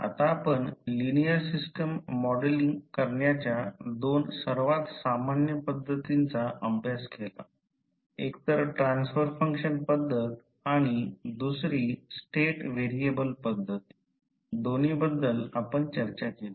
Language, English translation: Marathi, Now, we have studied two most common methods of modeling the linear system that were transfer function methods and the state variable method, so these two we have discussed